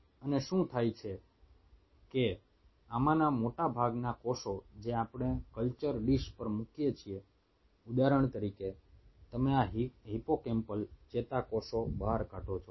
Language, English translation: Gujarati, and what happens is that most of these cells which we put on the culture dish say, for example, you take out these hippocampal neurons